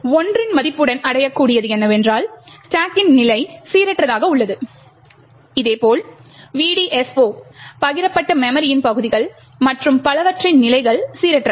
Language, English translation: Tamil, With a value of 1, what is achieved is that, the position of the stack is randomized, similarly the positions of the VDSO, shared memory regions and so on are randomized